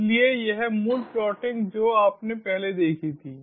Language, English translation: Hindi, so this basic plotting you saw previously